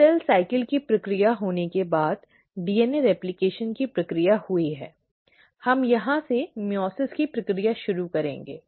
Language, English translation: Hindi, So after the process of cell cycle has happened, the process of DNA replication has taken place, we will be starting our process of meiosis from here